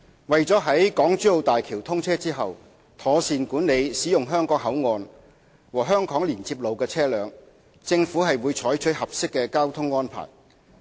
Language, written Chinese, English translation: Cantonese, 為了在港珠澳大橋通車後，妥善管理使用香港口岸和香港連接路的車輛，政府會採取合適的交通安排。, In order to properly manage vehicles using the Hong Kong Boundary Crossing Facilities and the Hong Kong Link Road HKLR upon the commissioning of the Hong Kong - Zhuhai - Macao Bridge the Government will adopt appropriate traffic arrangements